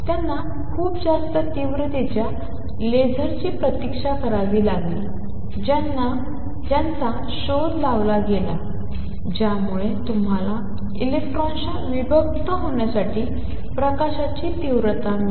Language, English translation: Marathi, They had to wait till very high intensity lasers who were invented that give you intensity of light to diffract electrons